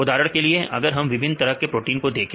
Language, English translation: Hindi, For example, if we see a different types of proteins